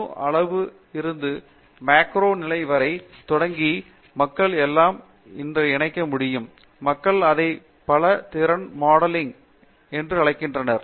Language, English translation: Tamil, Starting what people, starting from the atomic level to the macro level can we connect everything, what people call it has multi skill modeling